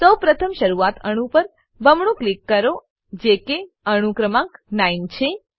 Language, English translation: Gujarati, First double click on the starting atom, which is atom number 9